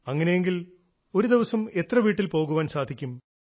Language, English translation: Malayalam, So, in a day, how much could you manage